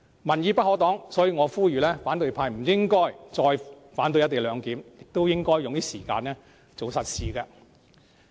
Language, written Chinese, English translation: Cantonese, 民意不可擋，所以我呼籲反對派不應該再反對"一地兩檢"，應多花時間做實事。, Members can never act against the people therefore I call for the opposition camp to stop opposing co - location and spend time on other practical issues instead